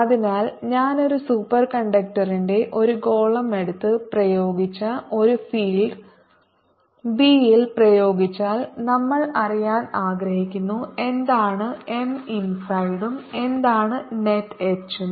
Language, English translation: Malayalam, so if i take a sphere of superconductor and put in an applied field b applied, we would like to know what is m inside and what is the net h